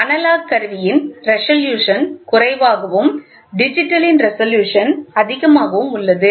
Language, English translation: Tamil, The resolution of the analog instrument is less and the resolution of the digital is more